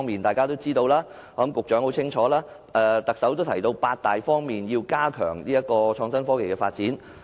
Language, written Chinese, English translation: Cantonese, 大家都知道，而我想局長也很清楚，連特首亦提到要在八大方面加強創科發展。, As we all know and I think the Secretary is also well aware that the Chief Executive has highlighted the need to enhance the development of IT in eight major areas